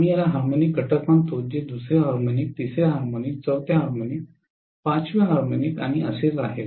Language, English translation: Marathi, We call these as harmonic components which is second harmonic, third harmonic, fourth harmonic, fifth harmonic and so on and so forth